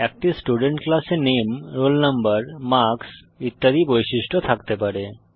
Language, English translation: Bengali, A Student class can contain properties like Name, Roll Number, Marks etc